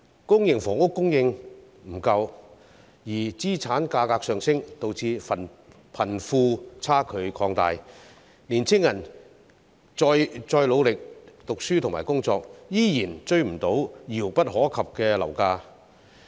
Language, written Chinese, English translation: Cantonese, 公營房屋供應不足，資產價格上升，導致貧富差距擴大，青年人再努力讀書和工作，依然追不上遙不可及的樓價。, Insufficient public housing supply and soaring asset prices have widened the wealth gap and no matter how hard young people study and work they still cannot catch up with the unreachable housing prices